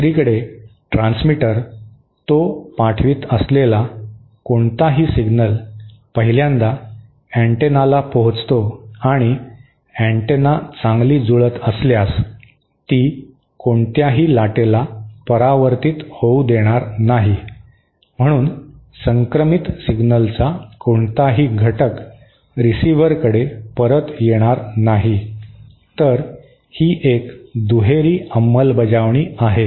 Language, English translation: Marathi, The transmitter on the other hand, any signal that it sends will reach the antenna 1st and if the antenna is well matched, then it will not allow any reflected wave, it will allow no reflection back, so no component of the transmitted signal will be received back by the receiver